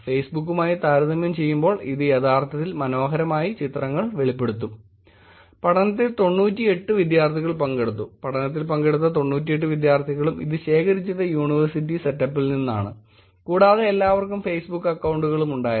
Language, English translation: Malayalam, In about 98 participants all students in the study, there were about 98 participants, all students were the ones who participated they were collecting it from the university setup and they all had Facebook accounts also